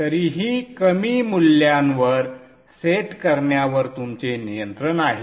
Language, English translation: Marathi, You have control on setting it to still lower values too